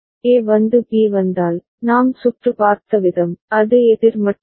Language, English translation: Tamil, And if A comes and B comes, the way we have seen the circuit, it is up counter only